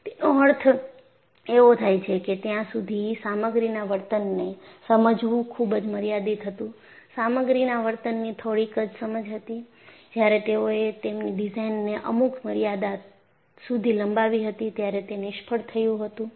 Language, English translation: Gujarati, So, that means the understanding of material behavior until then was limited; they had some understanding, but when they had stretched the design to its limits,it was failure